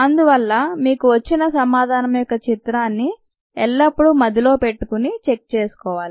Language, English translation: Telugu, so you should always have this ah picture of your answer in mind and check it